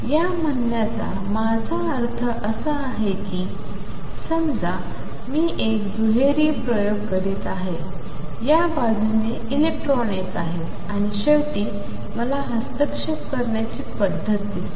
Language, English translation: Marathi, What I mean to say in this is suppose I am doing a double slit experiment, with electrons coming from this side and finally, I see an interference pattern